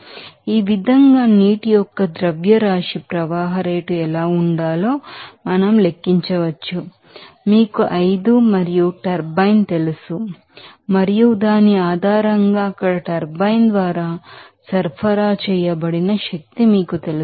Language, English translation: Telugu, So, in this way we can calculate what should be the mass flow rate of water that is flowing through the, you know 5 and to the turbine and based on which there will be you know energy supplied by the turbine there